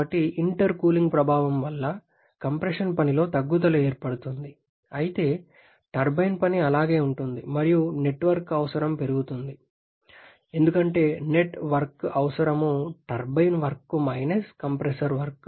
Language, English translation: Telugu, So because of the effect of intercooling is a reduction in the compression work while the turbine work remains the same and therefore the net work requirement that increases because net work requirement is turbine work minus compressor work